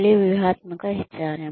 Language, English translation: Telugu, Strategic HRM again